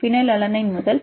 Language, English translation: Tamil, Phenyl alanine to